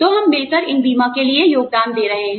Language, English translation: Hindi, So, we are collaboratively contributing, towards the insurance